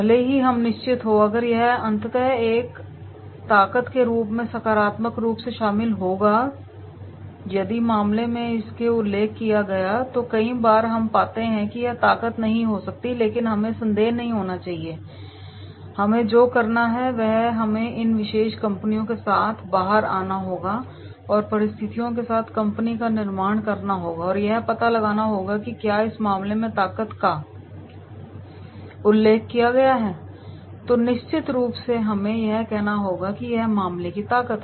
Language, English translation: Hindi, Even if we are unsure if this will ultimately be positive included as a strength if the case mentioned it, so many a times we find that this may not be the strength but we should not have a doubt and what we are supposed to do that is we have to come out with these particular company and making of the company with the competitors and find out that is whether if this has been mentioned in the strengths in the case then definitely we have to say that yes it is the strength of the case